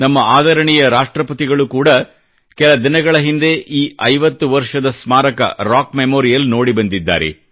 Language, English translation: Kannada, Recently, in connection with the 50 years, our Honourable President paid a visit to the Rock Memorial